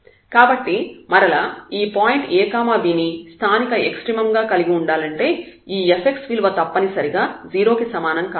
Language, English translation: Telugu, So, again to have that this a b is a point of local extremum we must have that this f x is equal to 0